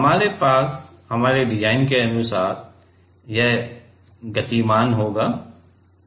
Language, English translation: Hindi, We have according to our design it will be moving